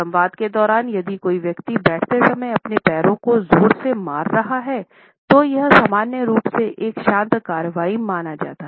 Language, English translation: Hindi, During the dialogue if a person is a stroking his leg while sitting, it normally is considered to be a pacifying action